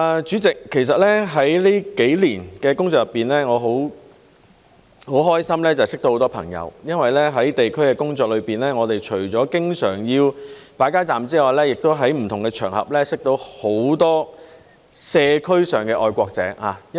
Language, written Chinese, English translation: Cantonese, 主席，其實在這數年的工作中，我很開心認識到很多朋友，因為在地區工作中，我們除了經常要擺街站之外，亦在不同場合認識到很多社區上的愛國者。, President in fact I am very happy to have made many friends at work over the past few years because in the course of our work in the districts we would meet many patriots in the community on different occasions apart from the frequent setting up of street booths